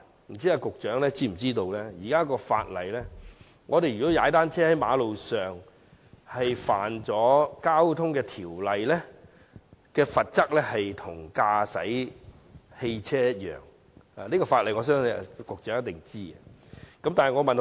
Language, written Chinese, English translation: Cantonese, 不知道局長是否知道，根據現行法例，在馬路上踏單車違反《道路交通條例》，其罰則與駕駛汽車相同，我相信局長一定知道這項法例。, I wonder if the Secretary knows that according to the existing legislation anyone violating the Road Traffic Ordinance when cycling on the road will be subject to the same penalties as driving motor vehicles . I believe the Secretary must know this law